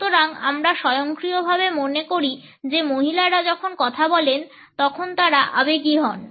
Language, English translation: Bengali, So, we automatically thinks women is so emotion when a speak